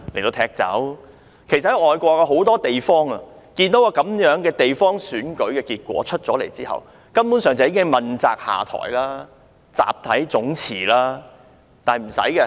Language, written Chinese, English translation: Cantonese, 在很多外國地方，如果地方選舉結果如此一面倒，當地官員根本已要問責下台，甚至集體辭職。, In many overseas places if the local election results are so one - sided local officials will simply step down for the sake of accountability and even resign collectively